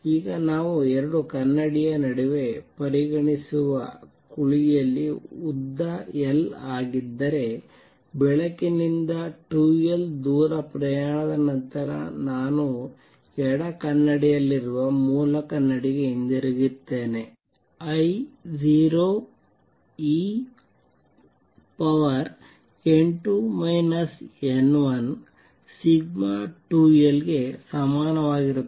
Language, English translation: Kannada, Now in the cavity that we just consider between the two mirror if the length is l, by the light comes back to the original mirror I at the left mirror after travels 2 l distance is going to be equal to I 0 e raise to n 2 minus n 1 sigma times 2 l